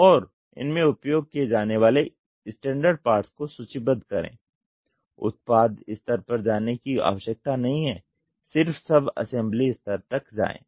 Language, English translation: Hindi, And list down the standard parts used, do not have to go to product level go up to subassembly level only